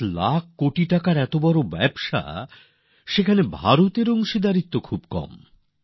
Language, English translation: Bengali, Such a big business of 7 lakh crore rupees but, India's share is very little in this